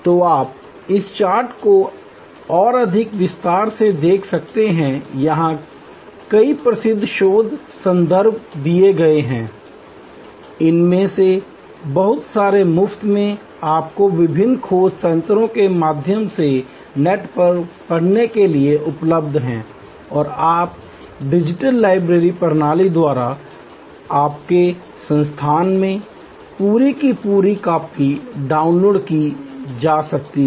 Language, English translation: Hindi, So, you can look at this chart more in detail, there are number of famous research references are given here, lot of these are available for free for you to read on the net through the various search mechanisms and full complete copy can be downloaded through your digital library system, at your institute